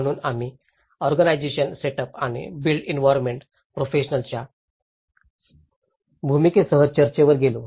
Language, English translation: Marathi, So we moved on discussions with the organizational setup and the role of built environment professions